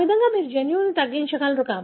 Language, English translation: Telugu, So, that is how you are able to narrow down the gene